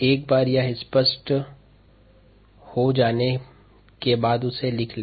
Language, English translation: Hindi, once that is clear, write it down